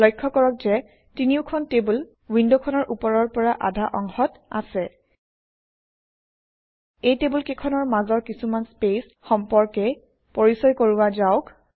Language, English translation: Assamese, Notice that the three tables are in the top half of the window Here let us introduce some space among these tables